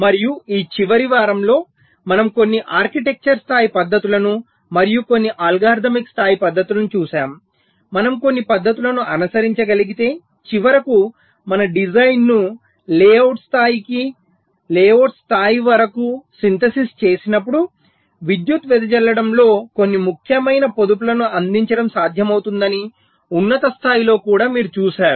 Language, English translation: Telugu, and in this last week we looked at some architecture level techniques and also some algorithmic level techniques where, even at the higher level, you have seen, if we we can follow some techniques, it is possible to provide some significant saving in power dissipation when we finally synthesis our design into the layout level up to the layout level